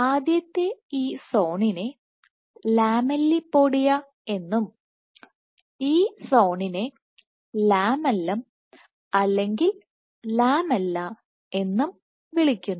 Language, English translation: Malayalam, So, this zone first zone is called the, so this zone is called the lamellipodia and this zone is called the lamellum or lamella